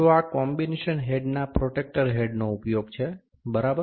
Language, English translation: Gujarati, So, this is the use of the protractor head of the combination set, ok